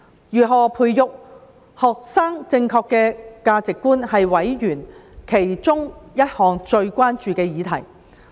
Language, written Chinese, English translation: Cantonese, 如何培育學生正確的價值觀，是委員其中一項最關注的議題。, How to foster correct values in students is one of the subjects of utmost concern to members